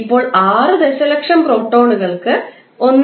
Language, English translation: Malayalam, Now, for 6 million protons multiply 1